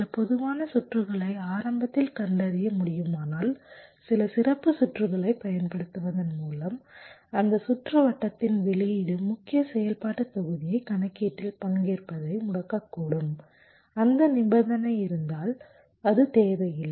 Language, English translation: Tamil, if some of the common cases can be detected early by using some special circuits, then the output of that circuit can disable the main functional block from participating in the calculation if that condition holds, which means it is not required